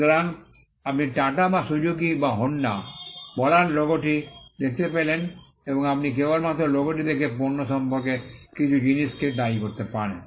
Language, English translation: Bengali, So, you could see the logo of say Tata or Suzuki or Honda and you can immediately attribute certain things about the product by just looking at the logo